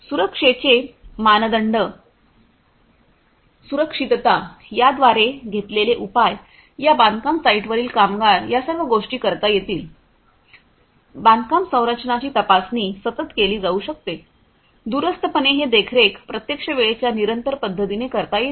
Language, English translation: Marathi, The safety standards the safety, measures that are being taken by these different, workers in these construction sites all of these could be done, inspection of the construction structures could be done continuously, remotely this monitoring could be done in a real time continuous manner